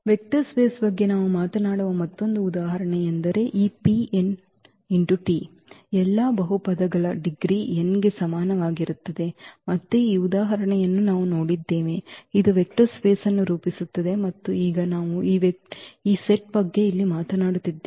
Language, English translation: Kannada, Another example where we are talking about the vector space this P n of all polynomials of degree less than equal to n; again this example we have seen that this form a vector space and now we are talking about this set here 1 t t square and so on t n